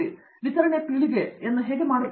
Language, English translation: Kannada, How do you do distributed generation